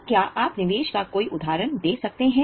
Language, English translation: Hindi, So can you give examples of investments